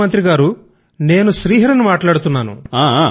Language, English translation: Telugu, Prime Minister sir, I am Shri Hari speaking